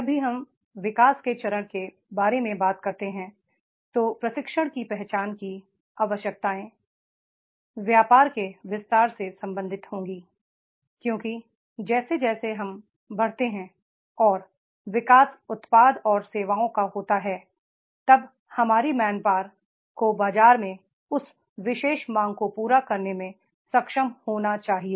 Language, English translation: Hindi, Whenever we talk about the growth stage then the training identifying needs will be related to the expansion of the business because as we grow and the growth is there of the products or services then our main power should be able to fulfill that particular demand in the market